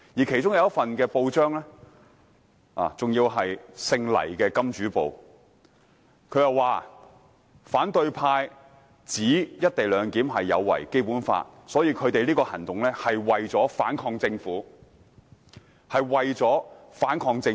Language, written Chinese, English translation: Cantonese, 其中黎姓金主旗下的報章報道："反對派指'一地兩檢'有違《基本法》，他們的行動是為了反抗政府。, Among these newspapers the one under the principal surnamed LAI reported that The opposition camp claimed that co - location is against the Basic Law; their action aims at fighting against the Government